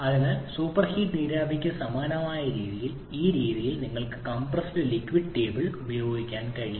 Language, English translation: Malayalam, So this way we have similar to super heated vapor you can also make use of that compressed liquid table